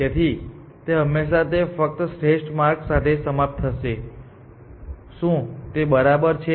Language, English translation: Gujarati, So, it will always terminate only with an optimal path; is it okay